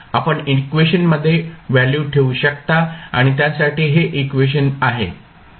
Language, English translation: Marathi, You can put the values in the equation and this expression for it